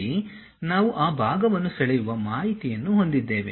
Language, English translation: Kannada, Here we have that part drawing information